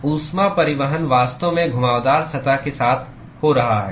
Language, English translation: Hindi, The heat transport is actually occurring alng the curved surface